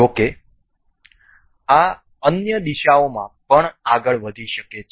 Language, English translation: Gujarati, However, this can also move in other directions as well